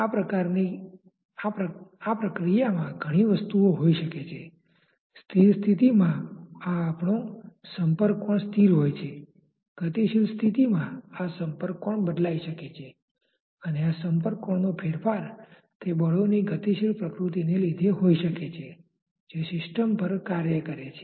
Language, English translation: Gujarati, In the process there may be many things, in the static condition we have a contact angle, in the dynamic condition this contact angle may change and the change of this contact angle may be because of the dynamic nature of the forces which are acting on the system